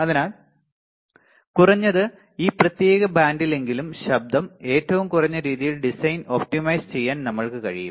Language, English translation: Malayalam, So, at least in this particular band, we can optimize the design such a way that the noise is minimum